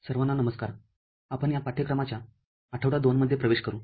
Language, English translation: Marathi, Hello everybody, we enter week 2 of this course